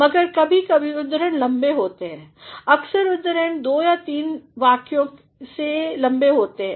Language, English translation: Hindi, But, sometimes the quotations are long; sometimes the quotations are longer than two or three sentences